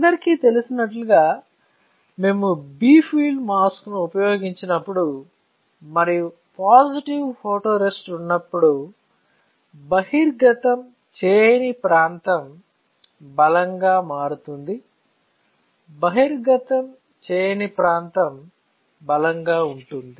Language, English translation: Telugu, So, as you all know now that when we use bright field mask and when there is a positive photoresist the area which is not exposed will get stronger, the area that is not exposed will get stronger